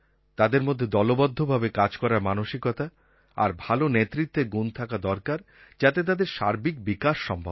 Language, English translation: Bengali, They should have a feeling of team spirit and the qualities of a good leader for their overall holistic development